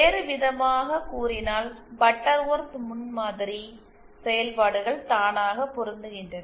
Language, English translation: Tamil, So, in other words, Butterworth prototype functions are auto matched